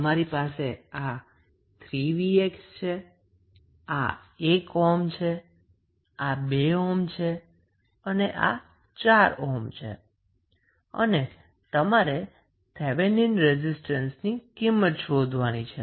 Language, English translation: Gujarati, So, this is 3 Vx this is 1 ohm this is 2 ohm and then you have 4 ohm and you need to find out the Thevenin resistance